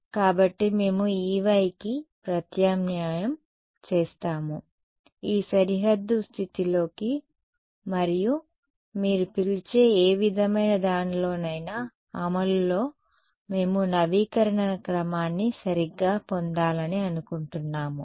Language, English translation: Telugu, So, this is what we will substitute for E y into this boundary condition and in any sort of what you call implementation we want to get an update equation order right